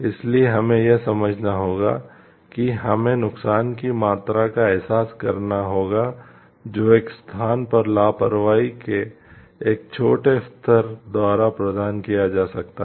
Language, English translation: Hindi, So, we have to understand we have to realize the degree of harm that may be provided by a small level of negligence one's part